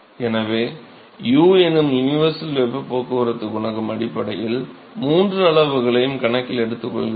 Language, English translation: Tamil, So, this U universal heat transport coefficient it essentially accounts for all three quantities